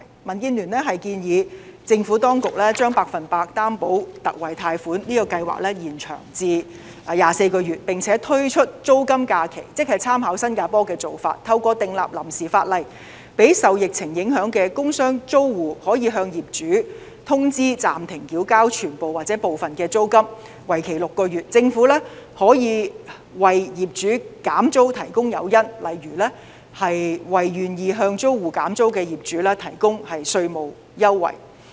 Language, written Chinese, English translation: Cantonese, 民建聯建議政府當局，將百分百擔保特惠貸款計劃延長24個月，並且推出租金假期，即參考新加坡的做法，透過訂立臨時法例，讓受疫情影響的工商租戶，可以向業主通知暫停繳交全部或部分租金，為期6個月，政府可以為業主減租提供誘因，例如為願意向租戶減租的業主提供稅務優惠。, DAB recommends that the Government should extend the Special 100 % Loan Guarantee for another 24 months introduce rent holidays by drawing reference from the Singapore Government through the enactment of provisional legislation which will waive the rental payment obligations of commercial tenants affected by the pandemic for 6 months so that commercial tenants may notify their landlords that they will cease to pay part or all their rents during the period . The Government may provide incentives such as tax concessions for landlords who are willing to accept the rent holiday arrangement